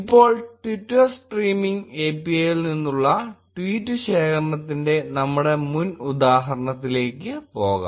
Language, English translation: Malayalam, Now, let us go back to our previous example of tweet collection from Twitter Streaming API